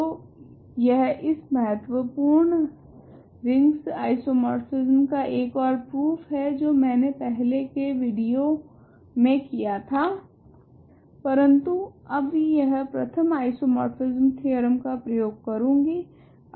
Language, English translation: Hindi, So, this is another proof of this important isomorphism of rings that I did in an earlier video ok, but now it uses the first isomorphism theorem